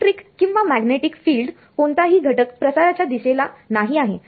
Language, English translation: Marathi, No component of electric or magnetic field in the direction of propagation